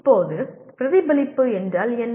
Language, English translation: Tamil, Now what is reflection